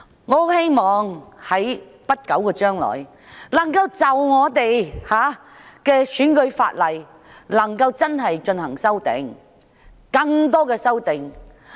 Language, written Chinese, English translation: Cantonese, 我希望政府在不久將來可以就選舉法例提出更多修訂。, I hope the Government will propose more amendments to the electoral legislation in the near future